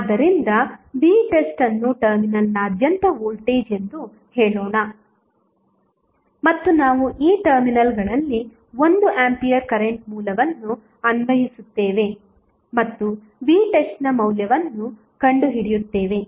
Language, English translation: Kannada, So, let us say the voltage across terminal is V test and we apply 1 ampere current source across these 2 terminals and find out the value of V test